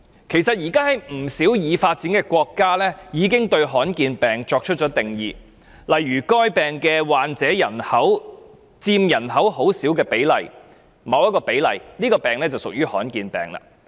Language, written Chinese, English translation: Cantonese, 其實，現時不少已發展國家已為罕見疾病作出定義，例如該疾病的患者佔人口很少比例或某一個比例，這種疾病便屬於罕見疾病。, In fact quite many developed countries have laid down a definition on rare diseases . If patients of a certain disease account for a small proportion or a certain proportion of the population the disease is regarded as a rare disease